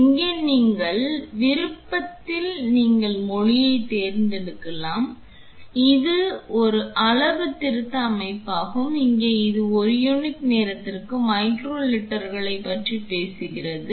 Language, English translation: Tamil, Here in this option you could select the language and this is a calibration setup, here this talks about micro liters per unit of time